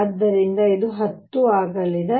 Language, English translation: Kannada, So, this is going to be 10